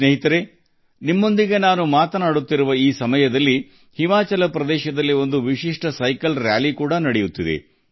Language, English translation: Kannada, Friends, at this time when I am talking to you, a unique cycling rally is also going on in Himachal Pradesh